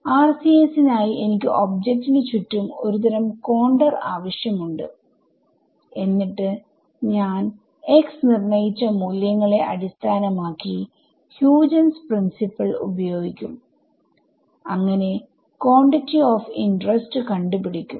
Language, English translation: Malayalam, So, for RCS I will need some kind of contour around the object then I will apply Huygens principle based on the values have calculated of x on that and find out the quantity of interest right